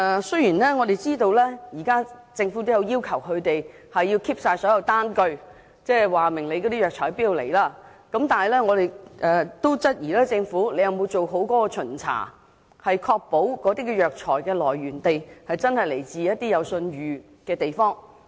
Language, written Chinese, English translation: Cantonese, 雖然我們知道政府現時已要求批發商必須保存單據，顯示藥材從何處進口，但我們質疑政府有否做好巡查，確保藥材的來源地是一些有信譽的地方。, Although we know that the Government now requires wholesalers to keep the documents to show the origins of herbal medicine imports we doubt whether the Government has conducted proper inspections to ensure that the herbal medicines came from reputable places